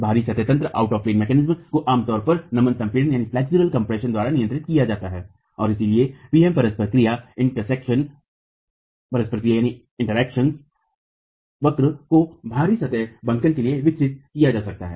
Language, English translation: Hindi, The out of plane mechanism is typically governed by flexual compression and so PM interaction curves can be developed for out of plane bending